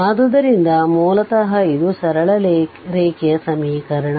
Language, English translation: Kannada, So, basically this is equation of straight line